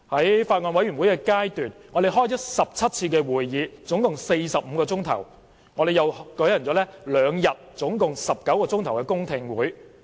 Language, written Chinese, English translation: Cantonese, 在法案委員會階段，我們召開了17次共45小時的會議，亦舉行了兩天共19小時的公聽會。, At the Bills Committee stage we have held 17 meetings ie . 45 hours of duration in total and two whole - day public hearings ie . 19 hours in total